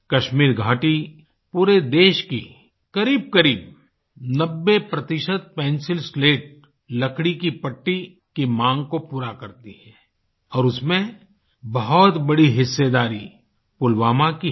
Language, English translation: Hindi, The Kashmir Valley meets almost 90% demand for the Pencil Slats, timber casings of the entire country, and of that, a very large share comes from Pulwama